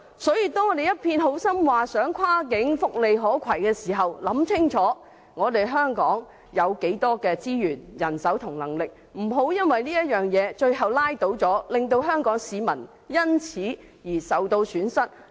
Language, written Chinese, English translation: Cantonese, 所以，當我們一片好心地提出福利跨境可攜性等安排時，請大家先考慮清楚香港擁有多少資源和人手，不要最終被這點拉倒，令香港市民因而蒙受損失。, Hence before proposing the cross - boundary portability arrangements for welfare benefits with good intentions we should clearly consider the amount of resources and manpower that Hong Kong possesses . Otherwise our people will suffer when Hong Kong is completely drained by the arrangements at the end